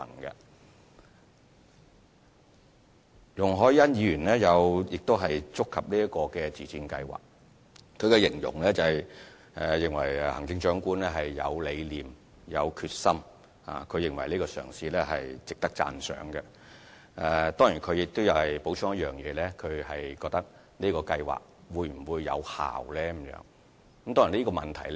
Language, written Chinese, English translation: Cantonese, 容海恩議員亦有談及這項自薦計劃，她形容行政長官有理念、有決心，而且認為這個嘗試值得讚賞，但她補充詢問這項計劃會否有效。, She described the Chief Executive as having vision and determination . Moreover she considered this attempt worthy of praise . However she queried if the scheme would bear fruit